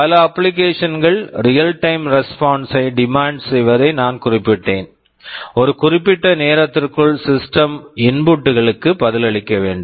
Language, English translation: Tamil, I mentioned many applications demand real time response; within a specified time, the system should respond to the inputs